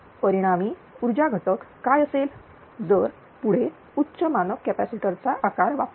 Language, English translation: Marathi, What would be the resulting power factor if the next higher standard capacitor size is used